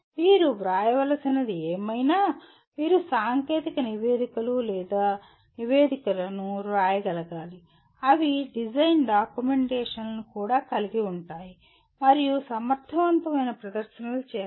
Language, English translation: Telugu, Whatever you do you need to write, you should be able to write technical reports or reports which are also include design documentations and make effective presentations